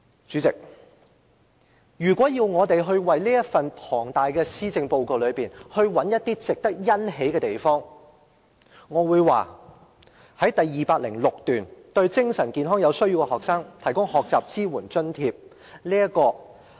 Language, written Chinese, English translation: Cantonese, 主席，如果要從這份浩繁的施政報告中找到一些值得欣喜之處，我會說是在第206段——對精神健康有需要的學生提供學習支援津貼。, President if one has to find something delightful from this voluminous Policy Address I would say paragraph 206―the Learning Support Grant will cover students with mental health needs